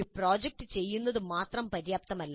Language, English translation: Malayalam, Merely doing a project is not adequate